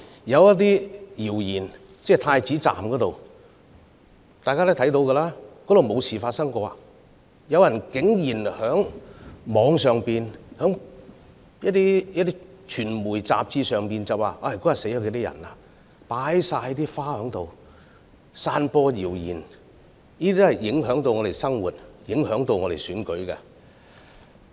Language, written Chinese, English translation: Cantonese, 有關太子站的謠言，大家皆知道，站內根本沒有事情發生，但竟然有人在網上及傳媒雜誌上散播謠言，指當天站內有若干人士死亡，因此該處擺滿鮮花。, Everybody knows the truth about the rumours surrounding Prince Edward Station and that is nothing ever happened in the station . Despite this rumours have nonetheless been spread on the Internet and a magazine of a media organization alleging that some people died in the station that day . This explains why floral tributes have been pouring in there